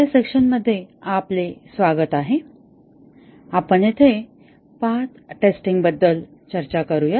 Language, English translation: Marathi, Welcome to this session and we will discuss about path testing